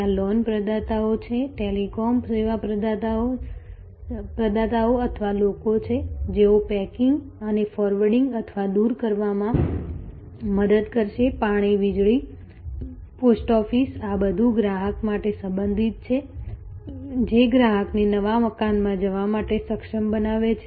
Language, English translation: Gujarati, There are loan providers, there are telecom service providers or people, who will help to do packing and forwarding or removals, water, electricity, post office, all of these are related for a customer, enabling a customer to move to a new house